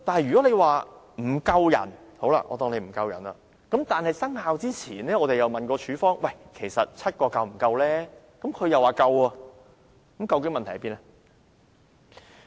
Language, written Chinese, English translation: Cantonese, 如果說署方人手不足，但在第 139B 章生效前我們曾問過署方其實7個是否足夠，處方卻說足夠，那麼究竟問題何在？, If AFCD is understaffed why then did they say seven staff members were enough when asked by the Subcommittee before the commencement of Cap . 139B? . Where exactly is the problem?